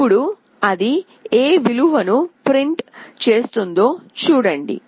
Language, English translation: Telugu, Now see what value it is printing